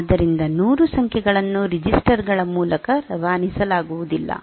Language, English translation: Kannada, So, 100 numbers cannot be passed through registers